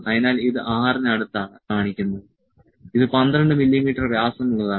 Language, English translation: Malayalam, So, it is showing like to close to 6 this is 12 mm dia